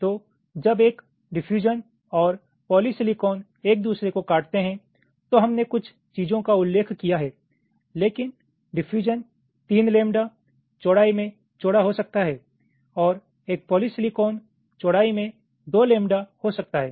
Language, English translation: Hindi, so when a diffusion and polysilicon is intersecting, we have mentioned a few things, but a diffusion can be three lambda y in width and a polysilicon can be two lambda in width